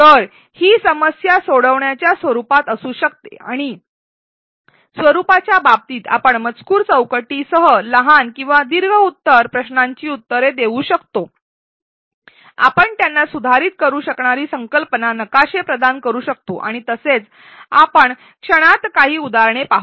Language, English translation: Marathi, So, these could be in the form of solving problems and in terms of the format, we can give short or longer answer questions with text boxes, we can provide them concept maps that they can modify and so on, we will see a few examples in a moment